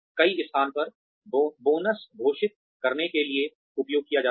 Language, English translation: Hindi, In many places, have been used to declare bonuses